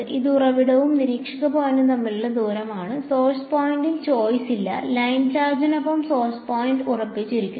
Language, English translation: Malayalam, It is the distance between the source and observer point, there is no choice on the source point, source point is fixed is along the line charge